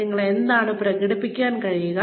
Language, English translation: Malayalam, What you are able to express